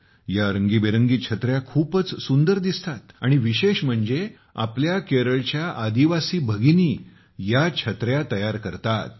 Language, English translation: Marathi, And the special fact is that these umbrellas are made by our tribal sisters of Kerala